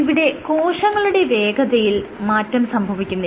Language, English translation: Malayalam, So, your cell speed remained unchanged